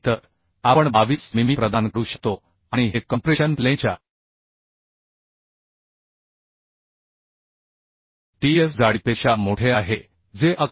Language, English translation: Marathi, 2 mm so we can provide 22 mm right and this is greater than the tf thickness of the compression flange which is 11